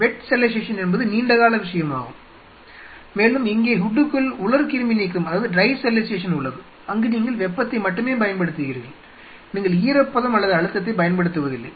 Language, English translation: Tamil, Wet sterilization which is far more long term stuff and here inside the hood you have dry sterilization, where you are only utilizing the heat you are not utilizing the moisture or the pressure into the game right